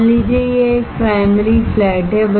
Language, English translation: Hindi, Suppose, this is a primary flat